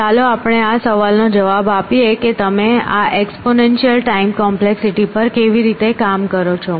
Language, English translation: Gujarati, So, let us answering this question, how do you attack this exponential time complexity